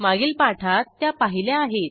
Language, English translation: Marathi, We saw them in the previous tutorial